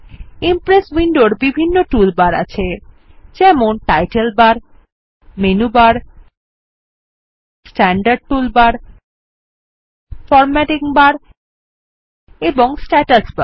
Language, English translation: Bengali, The Impress window has various tool bars like the title bar, the menu bar, the standard toolbar, the formatting bar and the status bar